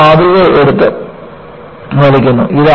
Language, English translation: Malayalam, You take a specimen and then, just pull